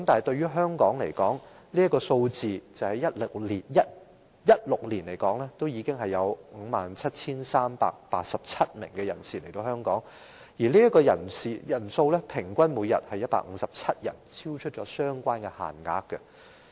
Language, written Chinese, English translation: Cantonese, 對於香港而言，單是2016年便已有 57,387 名人士經此途徑來港，每天平均157人，超出相關限額。, As for Hong Kong in the year 2016 alone 57 387 persons entered Hong Kong through this channel which was 157 persons per day on average exceeding the quota